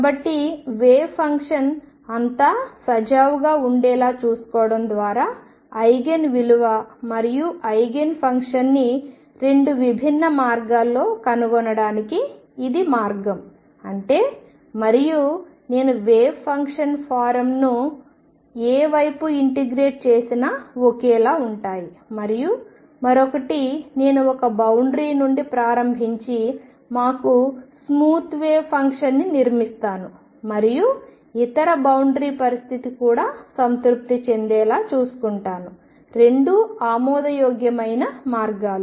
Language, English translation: Telugu, So, this the way to find Eigen value and the eigenfunction in 2 different ways one by making sure that the wave function is smooth all over; that means, psi and psi prime are the same no matter which side I integrate the wave function form and the other I build us smooth wave function starting from one boundary and make sure that the other boundary condition is also satisfied both are acceptable ways